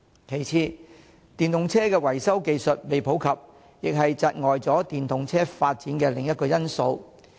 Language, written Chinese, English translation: Cantonese, 其次，電動車維修技術尚未普及，亦是窒礙電動車發展的另一個因素。, Besides the maintenance skills of EVs are not yet popular which is another reason holding back the development of EVs